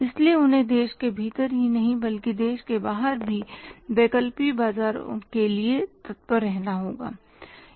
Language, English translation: Hindi, So, they have to look forward for the alternative markets not within the country but outside the country also